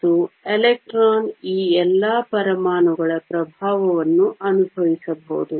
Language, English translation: Kannada, And an electron can feel the influence of all of these atoms